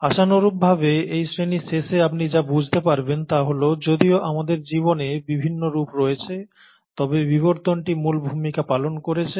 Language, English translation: Bengali, What you’ll appreciate hopefully by the end of this class is that though we have these different forms of life, its evolution which has played the key role